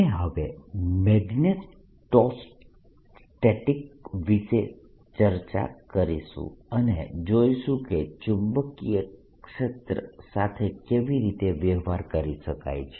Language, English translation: Gujarati, we are now going to change spheres and go to discuss magneto statics and see how the magnetic field can be dealt with